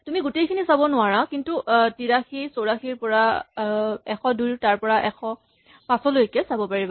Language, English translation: Assamese, So, you cannot see all of it, but you can see from 83, 84 up to 102 up to 500